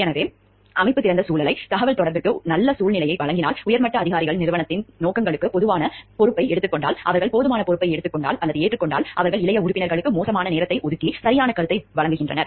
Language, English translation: Tamil, So, if the organization gives an open climate, a good climate for communication, where the higher ups are committed enough to the objectives of the organization, and they are taking enough responsibility, they are taking giving enough time to the junior members and giving a proper feedback to them, listening to their problems that taking